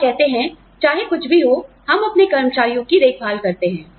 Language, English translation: Hindi, And say, we look after our employees, no matter what